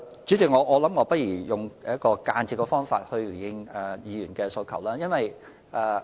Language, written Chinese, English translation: Cantonese, 主席，我不如用一種間接的方法來回應議員的問題。, President let me answer Members question in an indirect way